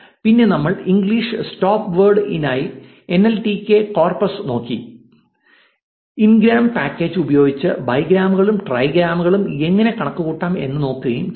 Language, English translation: Malayalam, Then we looked at the nltk corpus for english stopwords and also looked at how we can calculate bigrams and trigrams using the ngrams package